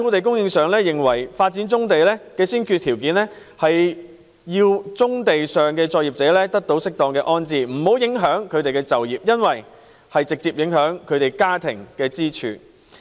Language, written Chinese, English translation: Cantonese, 工聯會認為發展棕地的先決條件是，要適當安置棕地上的作業者，不影響他們的就業，因為這會直接影響其家庭收入。, FTU is of the view that the prerequisite for the development of brownfield sites is the proper settlement of operators on such sites to avoid creating any impact on their employment because it will directly affect their family income